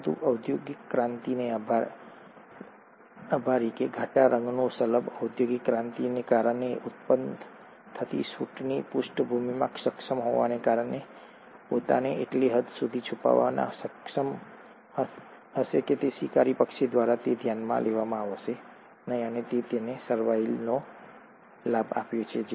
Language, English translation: Gujarati, But a dark coloured moth will, being able to in the background of the soot being generated, thanks to the industrial revolution, would be able to camouflage itself to such an extent, that it will not be noticed by the predatory bird, and it would have given it a survival advantage